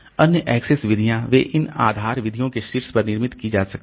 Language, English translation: Hindi, Other access methods they can be built on top of this base base methods